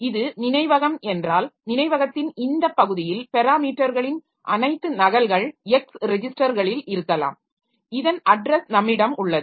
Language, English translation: Tamil, So, it is like this that this is the memory, so maybe in this portion of the memory the parameters are all copied and in the X register so we have the address of this